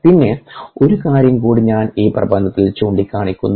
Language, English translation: Malayalam, then one more thing i will point out on this paper: ah